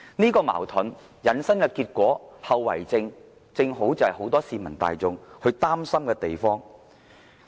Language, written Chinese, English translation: Cantonese, 這個矛盾引申的結果和後遺症，正是很多市民大眾擔心的地方。, The consequences and repercussions of this contradiction are exactly what worry the people